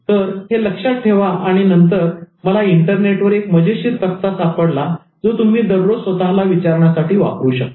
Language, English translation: Marathi, And then I found one interesting chart from the net, which you can always use to ask yourself every day